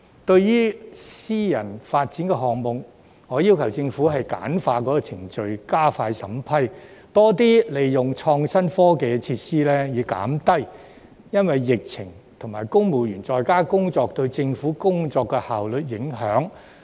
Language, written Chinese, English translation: Cantonese, 對於私人發展項目，我要求政府簡化程序，加快審批，更多利用創新科技設施，以減低疫情及公務員在家工作對政府工作效率的影響。, As for private development projects I have urged the Government to streamline the procedures to speed up the vetting and approval process and make greater use of innovation and technology thereby reducing the impact of the epidemic and civil servants working from home on government efficiency